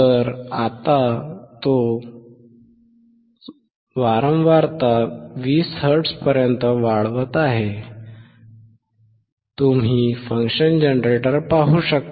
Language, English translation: Marathi, So now, he is increasing to 20 hertz, you can see the function generator